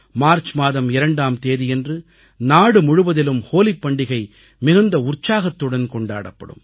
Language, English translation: Tamil, On 2nd March the entire country immersed in joy will celebrate the festival of Holi